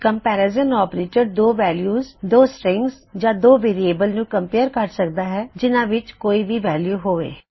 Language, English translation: Punjabi, Comparison Operators can compare 2 values, 2 strings or 2 variables that can contain any of them and will act upon that